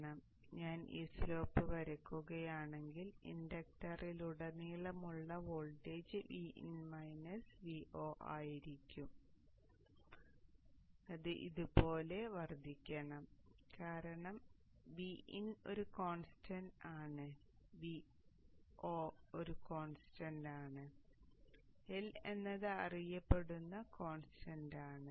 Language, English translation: Malayalam, So if I draw this slope during the time when the voltage across the inductor is V in minus V 0 it should increase like this because V N is a constant, V N is a constant, L is a known constant